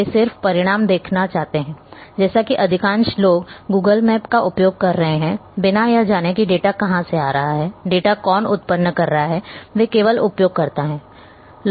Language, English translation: Hindi, They just want to see the result like most of the people are using Google maps without knowing from where the data is coming, who is generating the data, they are just simply users